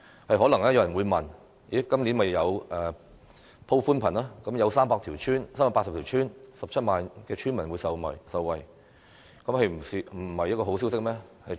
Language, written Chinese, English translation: Cantonese, 可能有人會問，政府今年已宣布鋪設寬頻，有380條村、17萬名村民受惠，難道不是好消息嗎？, Some may ask Isnt the extension of broadband coverage as announced by the Government this year a good news for 380 villages and 170 000 villagers? . Shouldnt they be happy?